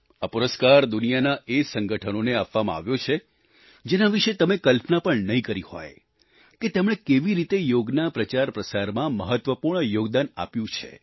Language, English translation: Gujarati, This award would be bestowed on those organizations around the world, whose significant and unique contributions in the promotion of yoga you cannot even imagine